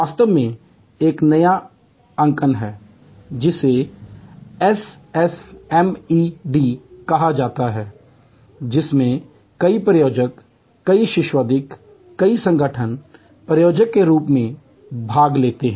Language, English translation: Hindi, In fact, there is a new notation which is called SSMED which has many sponsors, many academicians, many organization as sponsors, as participants